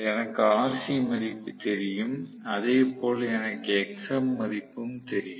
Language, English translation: Tamil, So, I have got rc value I have got xm value